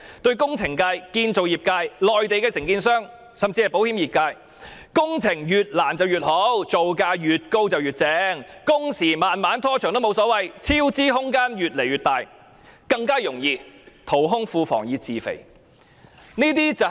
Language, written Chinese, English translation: Cantonese, 對工程業界、建造業界、內地承建商，甚至保險業界而言，工程越難越好，造價越高越好，工時拖得再長也沒有所謂；超支空間越來越大，便更容易淘空庫房以自肥。, For the engineering and construction industries Mainland contractors and even the insurance industry the more difficult the works the better; the higher the project cost the better . It does not matter if the works drags on and on for there is bigger scope for cost overruns making it easier to deplete the public coffers to enrich themselves